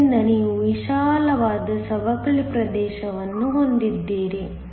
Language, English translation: Kannada, So, that you have a wide depletion region